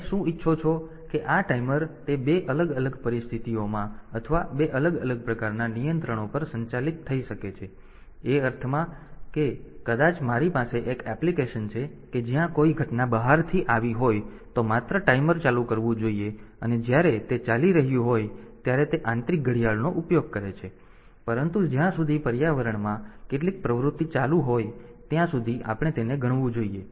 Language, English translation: Gujarati, So, what you want that these timers, they may be operated on 2 different situations, or 2 different type of controls, in the sense that maybe I have an application where, if some event has occurred externally then only the timer should be turned on, and when it is running